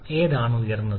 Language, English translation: Malayalam, Which one is higher